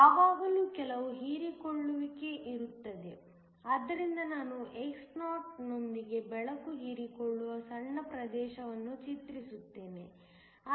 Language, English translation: Kannada, There is always going to be some absorption so, I depict a small region of with x naught in which the light is absorbed